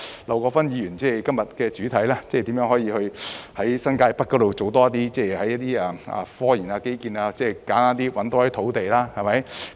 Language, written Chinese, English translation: Cantonese, 劉國勳議員今天這項議案的主題，正是如何在新界北多做科研及基建的工作。, The main theme of the motion proposed by Mr LAU Kwok - fan today is precisely how New Territories North can engage more in scientific research and infrastructure